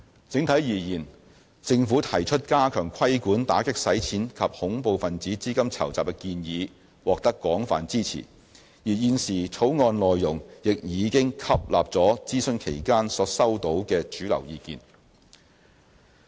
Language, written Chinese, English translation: Cantonese, 整體而言，政府提出加強規管打擊洗錢及恐怖分子資金籌集的建議獲得廣泛支持，而現時的《條例草案》內容亦已經吸納了諮詢期間所收到的主流意見。, Overall speaking there was broad support for the Government to enhance Hong Kongs anti - money laundering and counter - terrorist financing regime and the mainstream views collected during the consultation have also been incorporated in the contents of the current Bill